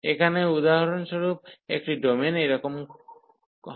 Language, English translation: Bengali, So, here for example have a domain is of this kind